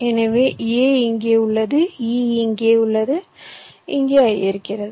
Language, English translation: Tamil, so a is here, e is here, i is here